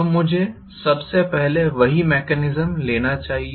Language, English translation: Hindi, So let me first of all take the same mechanism